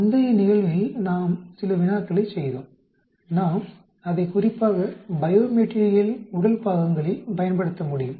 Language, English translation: Tamil, We did some problem in the previous case; we can use it especially in bio material body parts